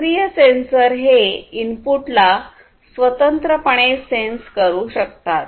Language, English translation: Marathi, A passive sensor cannot independently sense the input